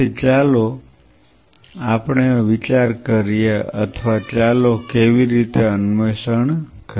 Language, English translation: Gujarati, So, let us think for or let us explore how from